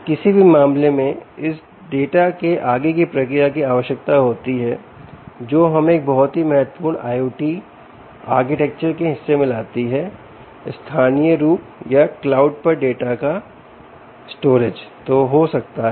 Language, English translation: Hindi, in any case, further processing of this data is required, which brings a brings us to a very important part of the i o t architecture: storage of the data, either locally or on the cloud